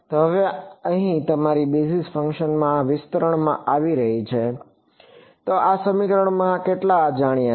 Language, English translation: Gujarati, So, now, your phi over here is coming from this expansion in the basis function so, how many unknowns in this equation